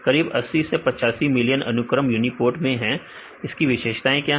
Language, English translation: Hindi, Around 80 85 million sequences and what is the unique features of uniprot